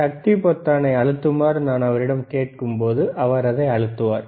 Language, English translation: Tamil, Wwhen I when I ask him to press power button, he will press it